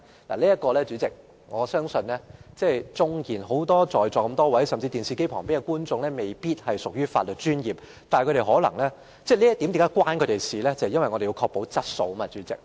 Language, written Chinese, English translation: Cantonese, 代理主席，我相信在座很多議員甚至在電視機前收看的觀眾都未必是從事法律專業的，但此事與他們也有關連，因為我們必須確保質素。, Deputy President I believe that many Members present and people watching the television broadcast are not in the legal profession . However this matter also relates to them because we must ensure quality of service